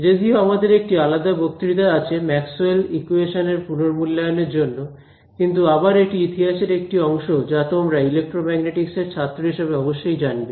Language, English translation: Bengali, So, we will have a separate review lecture for the equations of Maxwell, but this is again part of history, so which you know as any student of electromagnetics should know